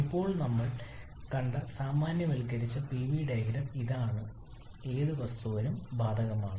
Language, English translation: Malayalam, Now this is the generalised Pv diagram that we have seen which is applicable for any substance